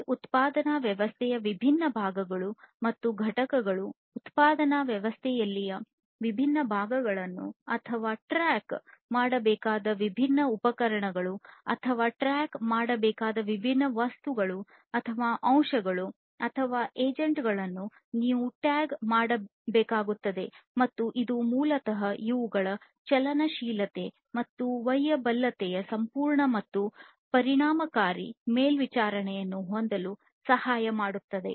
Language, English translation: Kannada, And, so, basically you know you need to tag the different parts in a production system or different equipments that need to be tracked or different items or elements or agents that need to be tracked you would be tagging them with some RFID tags and that basically helps to have a complete monitoring and efficient monitoring, of these, of the mobility and portability of these different parts and constituents of the whole production system